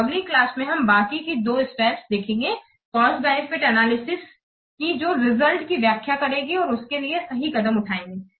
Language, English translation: Hindi, So, in the next class we will see the remaining two steps of cost benefit analysis that is what interpreting the results as well as taking the appropriate action